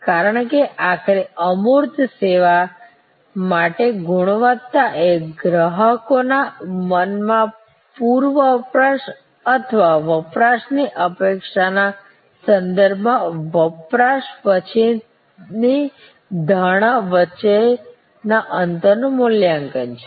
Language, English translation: Gujarati, Because, ultimately quality for an intangible service is the valuation in the customers mind of the gap between the post consumption perception with respect to the pre consumption or in consumption expectation